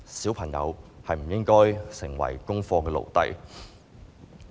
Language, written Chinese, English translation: Cantonese, 小朋友不應該成為功課的奴隸。, But they should not become the slaves of homework